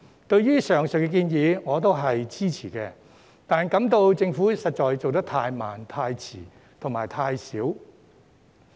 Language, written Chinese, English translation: Cantonese, 對於上述建議我表示支持，但卻認為政府的行動實在太慢、太遲和太少。, I lend my support to the aforesaid proposals but I think the Government has indeed acted too slowly too late and too little